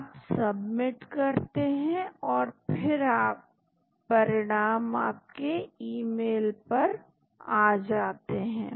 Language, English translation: Hindi, You submit it and then the results will come in the email id